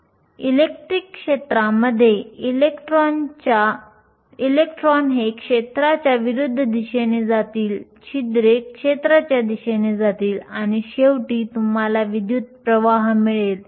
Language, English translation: Marathi, In the electric field, electrons will go in the direction opposite to the field, holes will go in the direction of the field and finally you will have a current